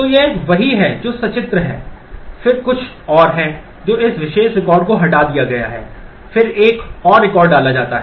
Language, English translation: Hindi, So, this is what is illustrated then there are some more this particular record is deleted, then again another record is inserted